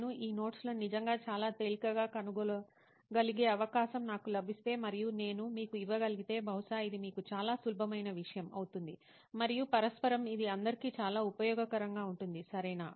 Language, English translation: Telugu, So if I am given an opportunity where I can actually find these notes very easily and I can give it to you perhaps this will be a very easy thing for you and mutually it will be very useful for everyone, right